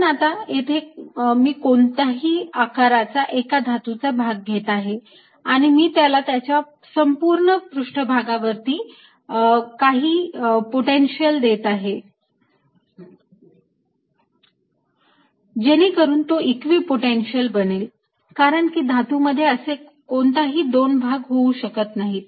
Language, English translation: Marathi, but now let me take a metallic, any shape, ah, ah, any shape of a metal and i give it some potential that this entire surface becomes an equipotential, because metals they cannot be any difference between two parts